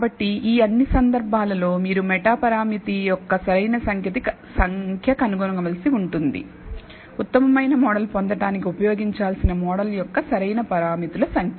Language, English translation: Telugu, So, in all of these this cases, you have to find out the optimal number of meta parameter, optimal number of parameters of the model that you need to use in order to obtain the best model